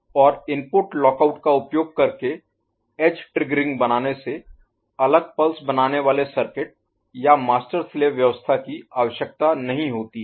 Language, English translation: Hindi, And edge triggering using input lockout does not require separate pulse forming circuit or master slave arrangement